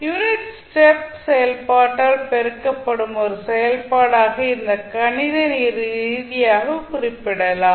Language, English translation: Tamil, You are representing this mathematically as a function multiplied by the unit step function